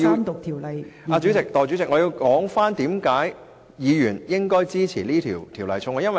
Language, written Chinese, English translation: Cantonese, 代理主席，我要說出為何議員應支持這項《條例草案》。, Deputy President I have to expound on why Members should support the Bill